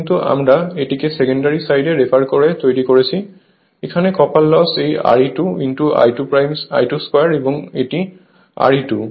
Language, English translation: Bengali, But, we are made it on the refer to the secondary side, this is the copper loss right this R e 2 into I 2 square and this is R e 2